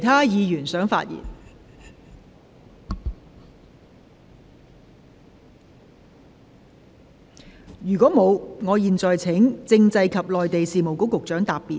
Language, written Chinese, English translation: Cantonese, 如果沒有，我現在請政制及內地事務局局長答辯。, If not I now call upon the Secretary for Constitutional and Mainland Affairs to reply